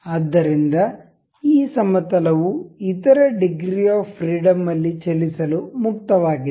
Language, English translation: Kannada, So, this plane is free to move in other degrees of freedom